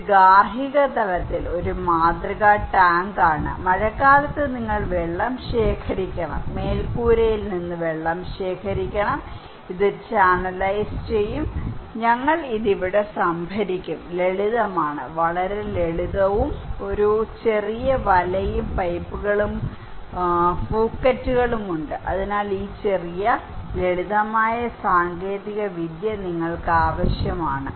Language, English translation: Malayalam, This is a model tank at the household level, during the rainy season you have to collect water and from the roof water, this will come channelize okay, and we will store it here, simple; very simple and there is a small net, pipes and Phukets okay, so this small simple technology you need